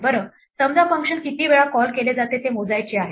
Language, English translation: Marathi, Well, suppose for instance we want to count the number of times a function is called